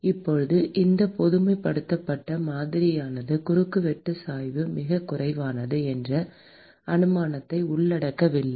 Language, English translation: Tamil, Now this generalized model does not include the assumption that the cross sectional gradient is negligible